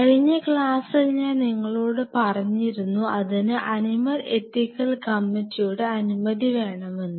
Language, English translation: Malayalam, So, you remember in the last class I told you that you needed the animal ethics committee clearance